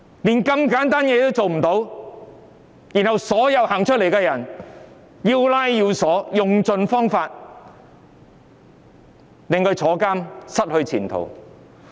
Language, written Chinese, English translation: Cantonese, 連這麼簡單的事也做不到，卻將所有走出來反抗的人抓捕，用盡方法令他們入獄和失去前途。, They fail to do these simple things yet they chase and arrest all the people who come out to stage opposition putting them in jail or ruining their prospects by whatever means